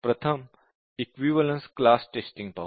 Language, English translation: Marathi, First, let us look at the equivalence class testing